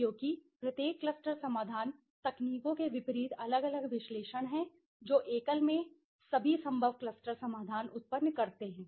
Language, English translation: Hindi, Because each cluster solution is separate analysis in contrast to techniques that generate all possible cluster solutions in a single